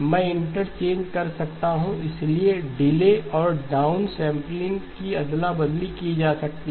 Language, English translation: Hindi, I can interchange the, so the delay and the down sampling can be swapped